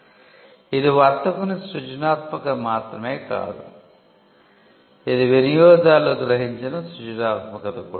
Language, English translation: Telugu, So, it is just not creativity by the trader, but it is also creativity that is perceived by the users